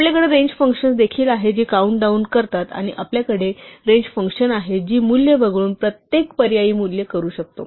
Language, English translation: Marathi, We can also have range functions which count down and we can have range functions which skip a value we can do every alternate value and so on